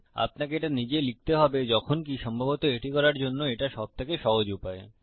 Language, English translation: Bengali, You have to write it manually, however and this is probably the easiest way to do it